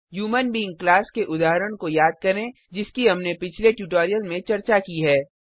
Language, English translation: Hindi, Recall the example of human being class we had discussed in the earlier tutorial